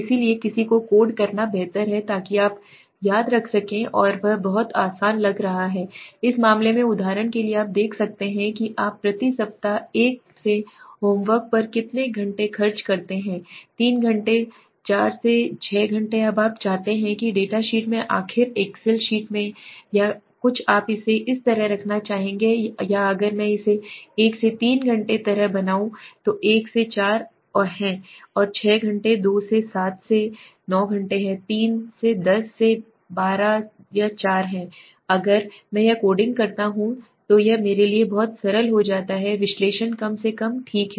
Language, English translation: Hindi, So it is better to code somebody so that you can remember and it becomes very looks very easy to right so example in this case you see how many hours you spend on homework per week 1 to 3 hours 4 to 6 hours now do you want that in the data sheet finally in the excel sheet or something would you like to keep it in this way or would I if I make it like 1 to 3 hours is 1 4 to 6 hours is 2 7 to 9 hours is 3 10 to 12 is 4 if I do this coding it becomes much simpler for my analysis at least okay